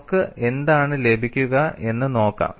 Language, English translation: Malayalam, Let us see what we get